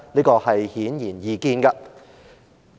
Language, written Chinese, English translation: Cantonese, 這是顯然易見的。, The answer is in plain sight